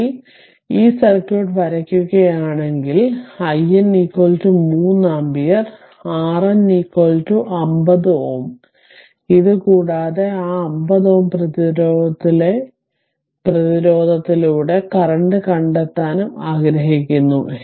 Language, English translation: Malayalam, So, finally, if you draw this circuit, so i N is equal to 3 ampere, R N is equal to 50 ohm, ,and this and you want to ah, we want to find out the current also through that 50 ohm resistance